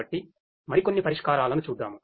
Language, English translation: Telugu, So, let us look at few more solutions